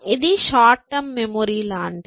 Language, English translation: Telugu, So, it is, this is like a short term memory